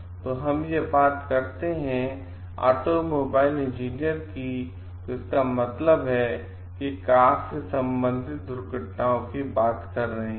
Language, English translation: Hindi, So, this could be done when we talking why automobile engineers means we are talking of car related accidents